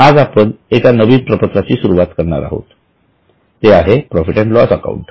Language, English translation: Marathi, Today we are going to start with the next financial statement which is profit and loss account